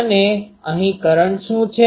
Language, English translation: Gujarati, And what is the current here